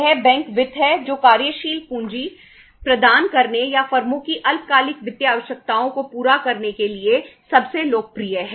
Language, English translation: Hindi, It is the bank finance which is most popular for providing the working capital or fulfilling the short term financial requirements of the firms